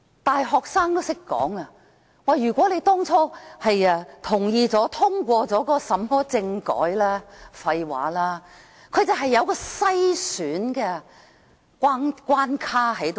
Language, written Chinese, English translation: Cantonese, 大學生也懂得說，如果我們當初同意並通過政改，這句話是廢話，這種政改有篩選關卡存在。, Even undergraduates know that such saying as in case we had supported and passed the constitutional reform initially is nothing but bullshit for this kind of constitutional reform would be embedded with screening and hurdles